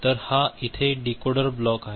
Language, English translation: Marathi, So, this is the decoder block over here right